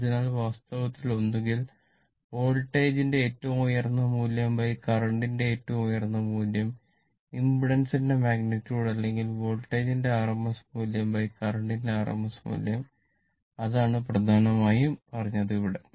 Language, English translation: Malayalam, So, it is it is actually either peak value of the voltage by peak value of the current the magnitude of the impedance or rms value of the voltage or rms value of the current that is what has been main said here right